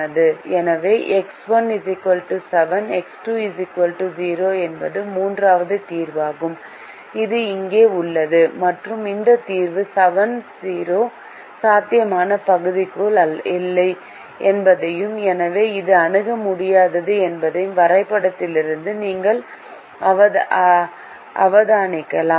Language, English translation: Tamil, so x one equal to seven, x two equal to zero is the third solution which is here, and you can observe from the graph that this solution, seven comma zero, is not within the feasible region and therefore it is infeasible